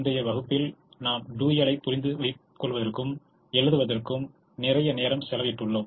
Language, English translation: Tamil, in earlier classes we have spent a lot of time understanding the dual and also in writing the dual